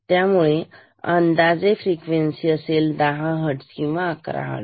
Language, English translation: Marathi, So, estimator frequency will be 10 Hertz or 11 Hertz